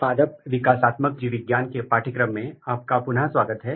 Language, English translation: Hindi, Welcome back to the course of Plant Developmental Biology